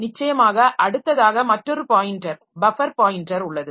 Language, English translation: Tamil, There is of course another pointer the buffer pointer is there